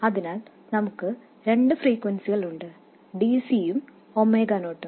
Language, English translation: Malayalam, So, we have two frequencies, DC and omega0